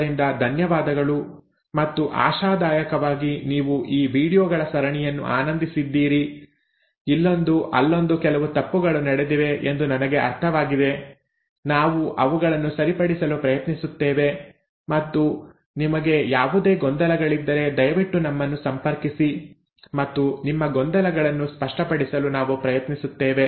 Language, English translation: Kannada, So thank you and hopefully you have enjoyed this series of videos; I do understand there have been a few mistakes here and there, we will try to correct them and if you have any confusions please write back to us and we will try to clarify your confusions